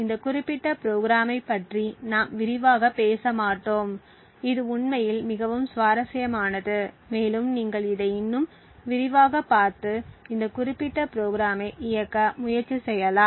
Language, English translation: Tamil, We will not go more into detail about this particular program and it is actually quite interesting and you could look at it more in detail and try to run this particular program